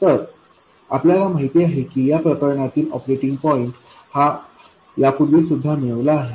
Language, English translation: Marathi, So we know that the operating point in this case this has already been worked out earlier